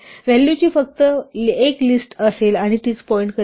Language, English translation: Marathi, There will be only 1 list of values and will point to the same